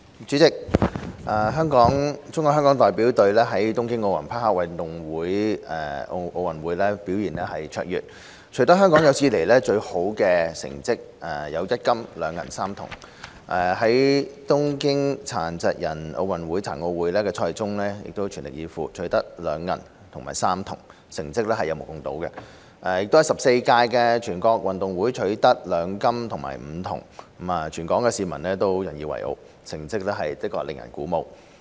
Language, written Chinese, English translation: Cantonese, 主席，中國香港代表隊在東京奧林匹克運動會表現卓越，取得香港有史以來最好的1金、2銀和3銅成績；在東京殘疾人奧運會的賽事中全力以赴，取得2銀和3銅，成績有目共睹；亦在第十四屆全國運動會取得2金和5銅，全港市民都引以為傲，成績令人鼓舞。, President the Hong Kong China Delegation performed brilliantly at the Tokyo Olympic Games OG achieving the best results of one gold two silver and three bronze medals in Hong Kongs history; attained remarkable and encouraging results of two silver and three bronze medals by giving its best at the Tokyo Paralympic Games PG; and captured two gold and five bronze medals at the 14th National Games NG making the entire community proud and lifted by its excellent performance